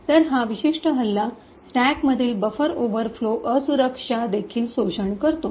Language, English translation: Marathi, So, this particular attack also exploits a buffer overflow vulnerability in the stack